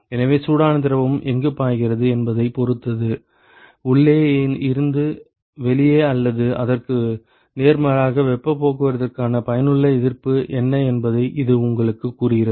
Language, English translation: Tamil, So, that is what tells you what is the effective resistance for heat transport from the inside to the outside or vice versa, depending upon where the hot fluid is flowing